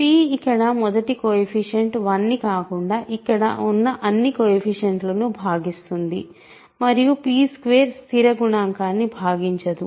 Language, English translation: Telugu, So, this is because p divides all the coefficients here other than the first coefficient which is 1 and p squared does not divide the constant coefficient